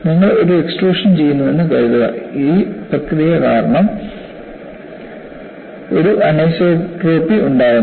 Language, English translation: Malayalam, Suppose you do an extrusion, it induces an anisotropy, because of the process